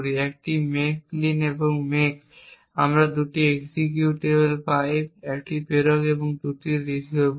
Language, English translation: Bengali, So, the 1st thing we do is do a make clean and make and we obtain 2 executables one is a sender and the 2nd is the receiver